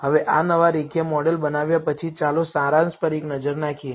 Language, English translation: Gujarati, Now, after building this new linear model let us take a look at the summary